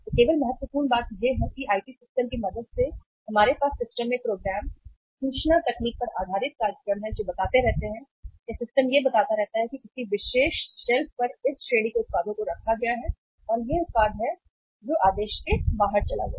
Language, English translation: Hindi, So only important thing is that with the help of IT systems we uh have the programs, information technique based programs in the systems which keep on telling, the system keep on telling that on one particular shelf this range of the products are kept and this product has gone out of order